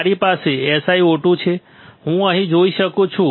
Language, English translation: Gujarati, That you can what you can see here, I can see here SiO 2